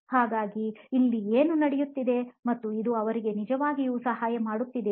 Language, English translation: Kannada, So what is going on here and will this actually help them with that